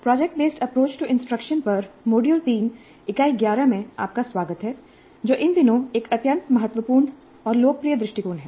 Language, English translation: Hindi, Greetings, welcome to module 3, Unit 11 on project based approach to instruction, an extremely important and popular approach these days